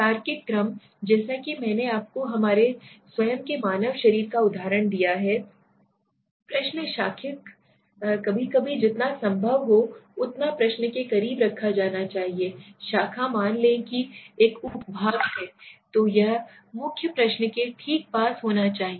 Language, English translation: Hindi, Logical order, as I gave you the example of our own human body right, the question being branched sometimes should be placed as close as to the as possible to the question causing the branch suppose there is a sub part so main it should be close to the main question right